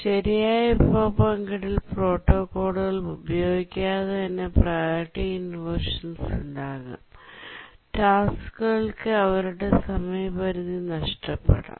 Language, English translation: Malayalam, Support for resource sharing protocols, because without use of proper resource sharing protocols, there can be priority inversions and tasks may miss their deadline